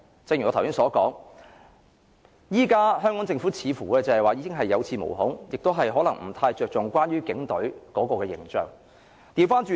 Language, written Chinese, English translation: Cantonese, 正如我剛才所說，現時香港政府似乎是有恃無恐，不太着重警隊的形象。, As I have just said holding all the trump cards the Hong Kong Government no longer cares about the image of the Police Force